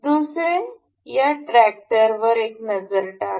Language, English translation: Marathi, Another, take a look at this tractor